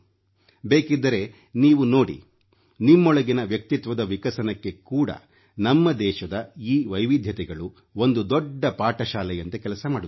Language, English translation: Kannada, You may see for yourself, that for your inner development also, these diversities of our country work as a big teaching tool